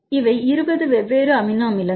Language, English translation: Tamil, So, how many different amino acid residues